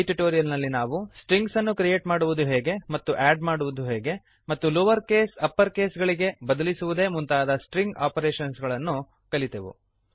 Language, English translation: Kannada, In this tutorial, you will learn how to create strings, add strings and perform basic string operations like converting to lower case and upper case